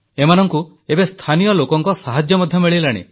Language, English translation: Odia, They are being helped by local people now